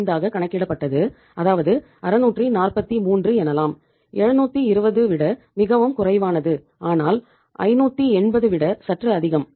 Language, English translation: Tamil, 75 or you can say 643 which is quite less from 720 but little more from 580